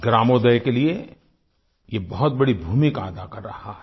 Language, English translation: Hindi, It is playing a very important role for gramodaya